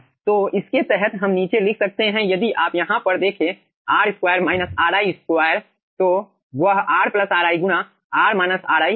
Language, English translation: Hindi, so under this we can write down, if you see over here, r square minus ri square